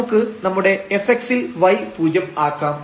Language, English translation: Malayalam, So, we can set in our fx as y 0